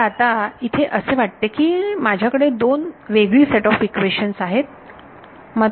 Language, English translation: Marathi, So now, here is it seems like I have two different sets of equations